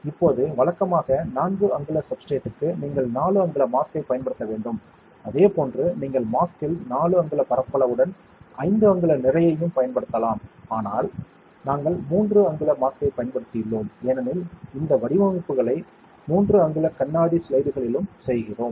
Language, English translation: Tamil, Now, if usually for 4 inch substrate, you will need to use a 4 inch mask; likewise you can even use a 5 inch mass with 4 inch area in the mask, but we have used a 3 inch mask because we make these designs also on 3 inch glass slides